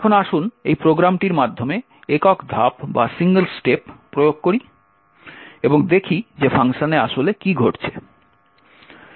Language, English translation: Bengali, Now let us single step through this program and see what is actually happening in function